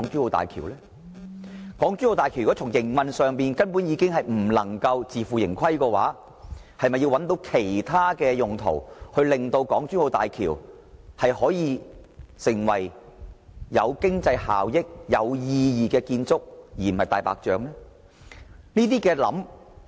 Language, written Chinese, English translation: Cantonese, 如果港珠澳大橋的營運根本不能自負盈虧，那麼是否應尋求其他用途，令港珠澳大橋具經濟效益和變得有意義，而不是成為"大白象"呢？, If HZMB cannot finance its own operation without deficit shall we explore other possibilities so that HZMB will not be a white elephant but will operate with economic benefits and become meaningful?